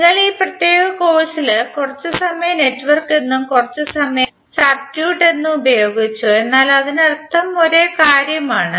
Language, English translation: Malayalam, So we in this particular course also we will used some time network some time circuit, but that means the same thing